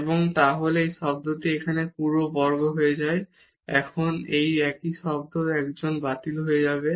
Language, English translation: Bengali, And, then this term here becomes this whole square and now this is the same term so, one will get cancelled